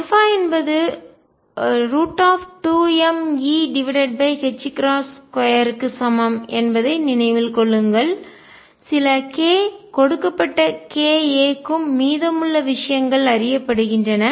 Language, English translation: Tamil, Keep in mind that alpha is equal to square root of 2 m E over h cross square k some given k a is also given rest of the things are known